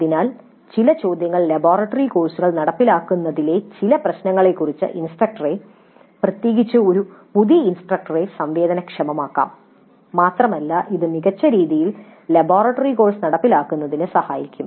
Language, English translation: Malayalam, So some of the questions may sensitize the instructor, particularly a novice instructor to some of the issues in implementing the laboratory courses and that would help probably in implementing the laboratory course in a better fashion